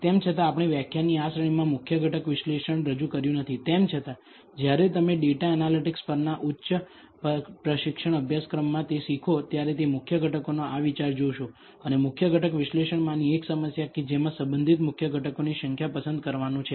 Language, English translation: Gujarati, Although we have not introduced principal component analysis in this series of lectures, nevertheless when you learn it in a higher advance course on data analytics, you will come across this idea of principal components and one of the problems in principal component analysis is to select the number of principal components that are relevant